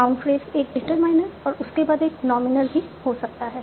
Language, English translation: Hindi, Norm phrase can be a determiner followed by a nominal